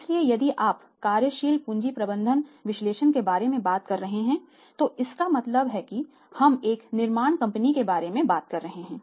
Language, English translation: Hindi, So, if you are talking about the working capital management of the working capital analysis it means we are talking about a manufacturing company